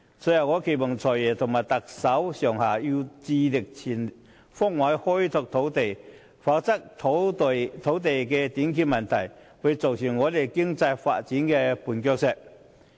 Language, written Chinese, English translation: Cantonese, 最後，我期望"財爺"、特首及政府上下，致力全方位開拓土地，以免土地短缺問題成為我們經濟發展的絆腳石。, In closing I expect the Financial Secretary the Chief Executive and everyone in the Government to strive to develop land on all fronts so that the problem of land shortage will not become a stumbling block in our economic development